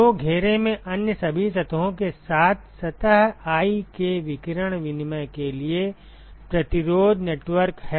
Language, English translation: Hindi, So, that is the resistance network for radiation exchange of surface i with all other surfaces in the enclosure ok